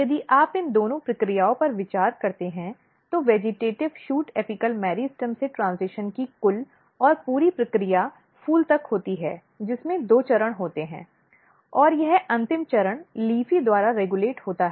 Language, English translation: Hindi, So, which suggest that LEAFY is important, so if you consider these two processes the entire and complete process of transition from vegetative shoot apical meristem till the flower which has two stages and this final stage is regulated by LEAFY